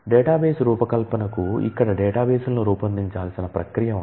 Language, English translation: Telugu, Coming to the database design this is a process through which the databases need to be designed